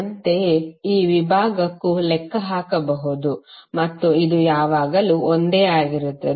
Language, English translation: Kannada, Similarly, for this segment also you can calculate and this will always remain same